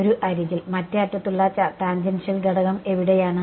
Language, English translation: Malayalam, On one edge and the tangential component on the other edge is where